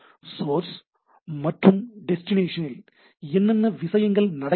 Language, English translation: Tamil, So, at the source and destination, what the things are going on